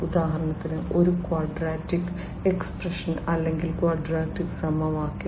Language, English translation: Malayalam, So for example, a quadratic expression or quadratic equation rather, you know